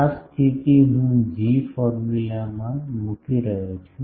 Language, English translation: Gujarati, This condition I am putting in the G formula